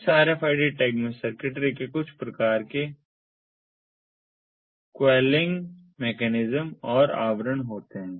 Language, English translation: Hindi, this rfid tag consists of the circuitry, some kind of a quailing mechanism, and the cover